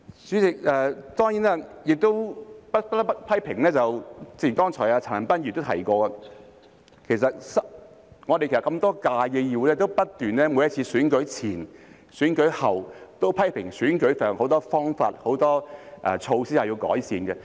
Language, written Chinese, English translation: Cantonese, 代理主席，當然不得不批評的是，正如陳恒鑌議員剛才也提到，其實我們過去多屆議會，也不斷在每次選舉前後批評選舉時有很多方法和措施需要改善。, Deputy President of course there is one thing that I must criticize . As Mr CHAN Han - pan also said just now previously in many terms of this Council we kept making criticisms before and after each election that many methods and measures adopted in the elections would need to be improved